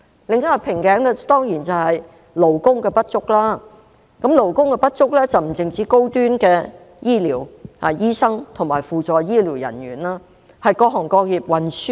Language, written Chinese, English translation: Cantonese, 另一個瓶頸是勞工不足，勞工不足不只限於高端醫療人員，例如醫生和扶助醫療人員，而是各行各業均如是。, Another bottleneck is manpower shortage . There is not only a short supply of health care professionals such as doctors and supporting medical staff but all industries and trades suffer from manpower shortage